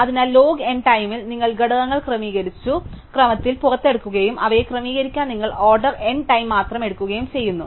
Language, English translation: Malayalam, So, in log n time you can get the elements out in sorted order and to put them in, you took only order n time